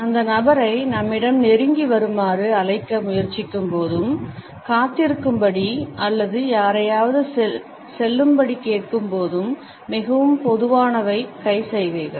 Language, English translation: Tamil, The most common hand gestures are when we try to call somebody indicating the person to come close to us or when we ask somebody to wait or we ask somebody to go away